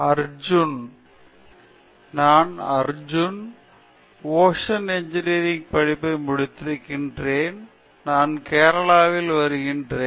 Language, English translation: Tamil, I am Arjun, I am doing PhD in Ocean Engineering and I am from Kerala